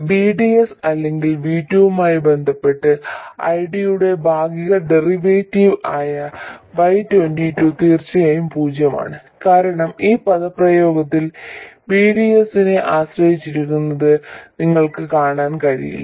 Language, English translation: Malayalam, And Y2 which is the partial derivative of ID with respect to VDS or V2, is of course 0 because you can see no dependence on VDS in this expression